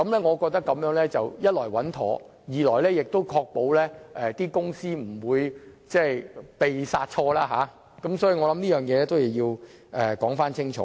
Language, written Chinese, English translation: Cantonese, 我認為這做法既穩妥，亦可確保公司不會"被殺錯"，所以我認為有必要清楚說明這一點。, In my view this is a prudent approach that can ensure that no company will be victimized . I thus consider it necessary to make this clear